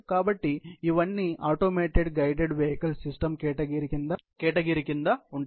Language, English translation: Telugu, So, these all form under the category of the automated guided vehicle system